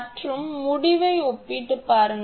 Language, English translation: Tamil, And just compare the result